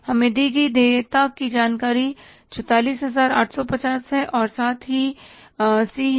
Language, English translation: Hindi, Liabilities information given to us is that is 44,850